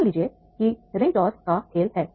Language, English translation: Hindi, Suppose the ring toss game is there